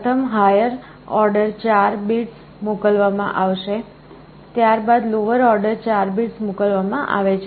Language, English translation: Gujarati, First the higher order 4 bits is sent, first the lower order 4 bits are sent